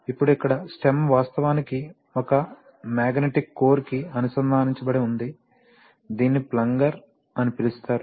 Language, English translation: Telugu, Now this is, here the stem is actually connected to a, to a magnetic core which is called the plunger, right